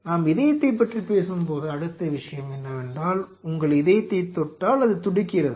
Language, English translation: Tamil, Now next thing when we talk about cardiac, you touch your heart it is beating